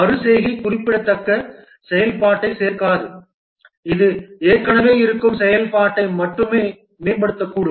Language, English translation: Tamil, Iteration may not add significant functionality, it may just only enhance the existing functionality